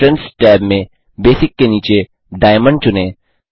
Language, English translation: Hindi, In the Entrance tab, under Basic, select Diamond